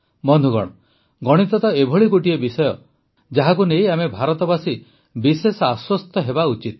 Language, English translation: Odia, Friends, Mathematics is such a subject about which we Indians should be most comfortable